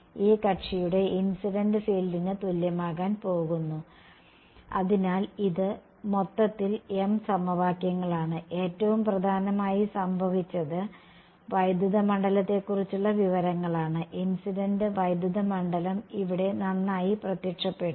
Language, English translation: Malayalam, So, this is m equations in total and most importantly what has happened is the information about the electric field the incident electric field has nicely appeared over here